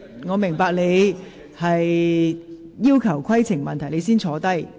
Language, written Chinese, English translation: Cantonese, 我明白你提出的規程問題，請先坐下。, I understand the point of order you have raised so please sit down